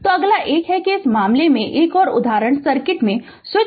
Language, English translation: Hindi, So, next one is that another example in this case, the switch in the circuit